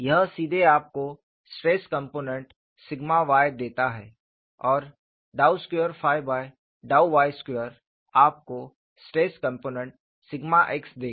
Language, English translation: Hindi, This directly gives you the stress component sigma y and dou squared phi by dou y squared will give you stress component sigma x